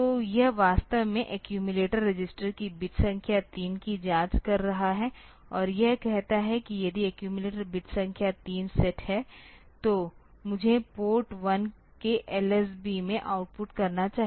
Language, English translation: Hindi, So, this is actually checking the bit number 3 of the accumulator register and it says that if the accumulator bit number 3 is set, then I should output to LSB of Port 1